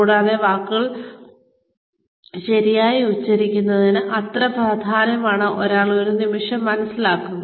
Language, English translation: Malayalam, And, that point one realizes, how important it is to pronounce words properly